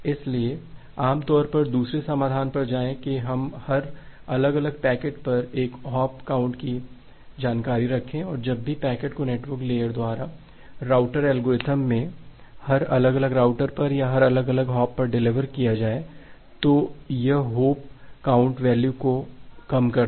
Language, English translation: Hindi, So normally go to the second solution that we put a hop count information at every individual packet and whenever the packet is being delivered by the network layer to the routing algorithm, at every individual router or a at every individual hop, it decrements that hop count value